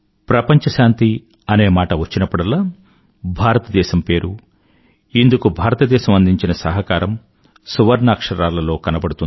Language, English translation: Telugu, Wherever there will be a talk of world peace, India's name and contribution will be written in golden letters